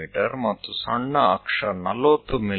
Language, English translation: Kannada, The other one minor axis is at 40 mm